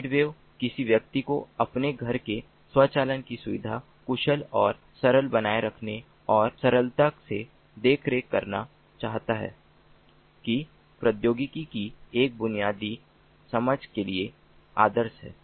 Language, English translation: Hindi, z wave is ideal for someone with a basic understanding of technology who wants to keep their home automation secure, efficient, simple and easy to maintain, on the other hand, using zigbee